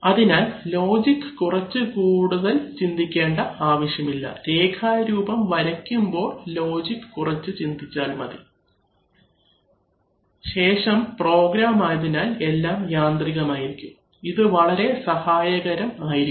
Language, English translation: Malayalam, So, one need not really think too much about the logic, one should think about the logic while he is drawing the diagram, after that, the programming becomes automated, this is very useful, okay